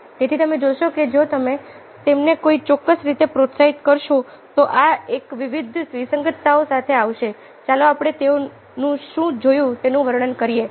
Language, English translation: Gujarati, so you see that if you motivate in them in a particular way, they would come up with various different, discrepant ah, ah, lets say a descriptions of what they saw